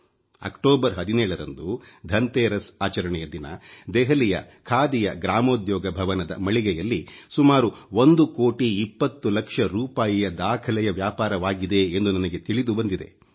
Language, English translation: Kannada, You will be glad to know that on the 17th of this month on the day of Dhanteras, the Khadi Gramodyog Bhavan store in Delhi witnessed a record sale of Rupees one crore, twenty lakhs